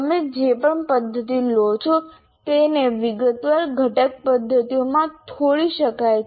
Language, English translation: Gujarati, And any method that you take can also be broken into detailed component methods